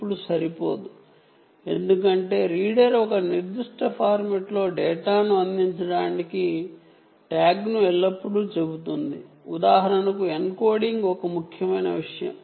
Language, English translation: Telugu, the reason is: the reader will always tell the tag to provide data in a particular format, for example, encoding is an important thing, right